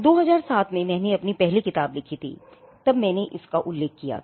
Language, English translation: Hindi, Now, I had mentioned this when I wrote my first book in 2007